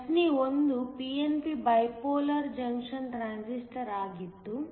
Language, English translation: Kannada, So, problem 1 was a p n p bipolar junction transistor